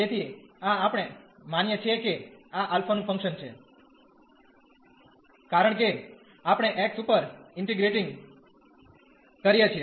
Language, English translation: Gujarati, So, this we assume that this is a function of alpha, because we are integrating over this x